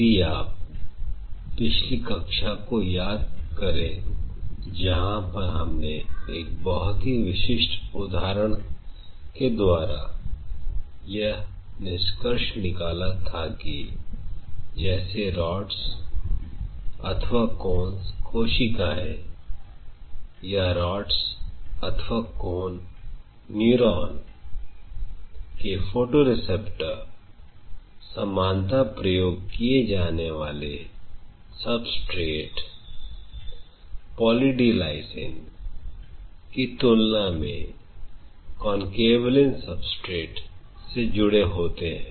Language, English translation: Hindi, If you recollect in the last class where we concluded we talked about a very specific example where we talked about how the rods and cone cells or the rod and cone neuron or the photoreceptors of the retina preferentially attached to a Concanavalin substrate as compared to a commonly known substrate called Poly D Lysine